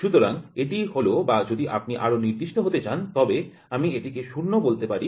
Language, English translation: Bengali, So, this is or I can say if you want to be more specific we call it a 0